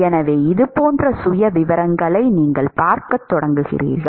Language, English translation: Tamil, So, you will start seeing profiles which will look like this